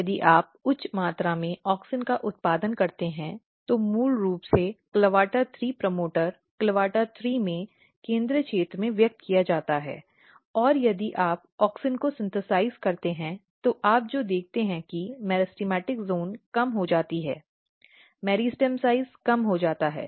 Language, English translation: Hindi, And if you produce auxin in high amount so, basically in the CLAVATA3 promoter you are using CLAVATA3; promoter CLAVATA3 is expressed in the central region and if you synthesize auxin what you see that the meristematic zone is decrease the meristem size is decreased